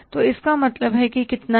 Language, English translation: Hindi, So that amount works out as how much